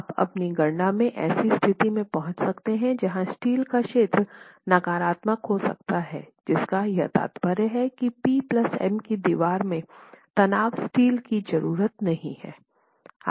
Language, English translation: Hindi, You might arrive at a state in your calculations where the area of steel may work out to be negative, which basically implies that you don't need tension steel in the case of the P plus M that you're looking at in the wall